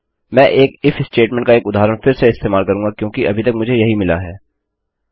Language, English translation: Hindi, Ill use an example of an if statement again because thats all I have got at the moment